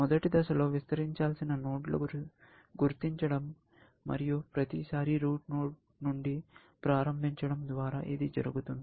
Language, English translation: Telugu, In the first stage, I will identify the nodes to be expanded, and that I will do by starting from the root every time